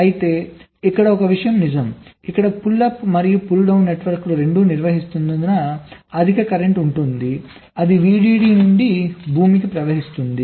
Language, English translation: Telugu, but one thing is true here: here, because both the pull up and pull down networks are conducting, there will be high current that will be flowing from vdd to ground